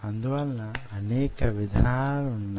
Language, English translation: Telugu, so there are several ways